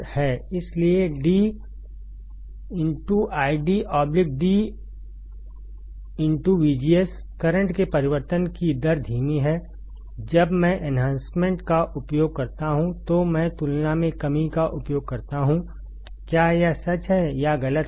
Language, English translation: Hindi, So, d I D by d V G S, rate of change of current is slower when, I use depletion compared to when I use enhancement; is it true or is it false